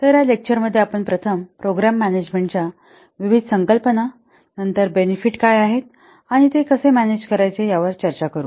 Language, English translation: Marathi, So in this lecture we will discuss first the various concepts of program management, then what is benefit, how benefits can be managed